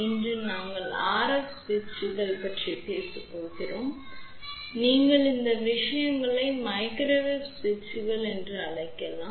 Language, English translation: Tamil, Today, we are going to talk about RF Switches you can also call these things as Microwave Switches also